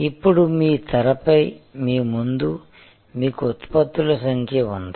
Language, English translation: Telugu, Now, in front of you on your screen you have number of products